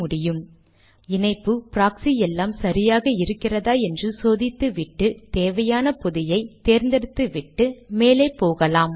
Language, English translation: Tamil, Make sure that your connection, your proxy, everything is okay and then choose the package that you like and then go ahead